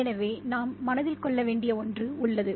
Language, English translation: Tamil, So that is something we need to keep in mind as well